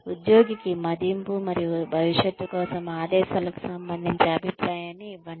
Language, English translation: Telugu, Give feedback to the employee, regarding appraisal, and directions for the future